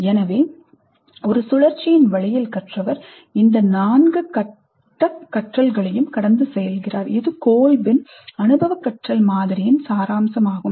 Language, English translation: Tamil, So in a cyclic way the learner goes through these four stages of learning and this is the essence of Colbes model of experiential learning